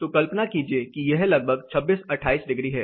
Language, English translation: Hindi, So, imagine it is somewhere around 26, 28 degrees